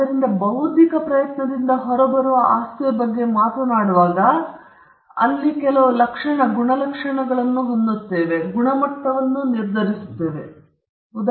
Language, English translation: Kannada, So, whenever we talk about the property that comes out of intellectual effort, it is this trait that we are talking about